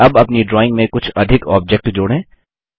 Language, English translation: Hindi, Lets add some more objects to our drawing